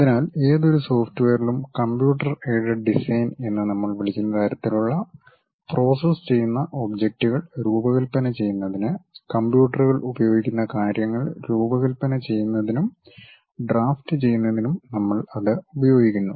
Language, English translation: Malayalam, So, to begin with any software, we use that to design and draft the things especially we use computers to use in designing objects that kind of process what we call computer aided design